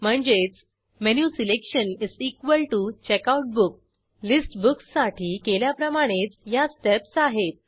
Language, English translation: Marathi, So menuselection is equal to checkoutbook The steps are the same that we saw for List Books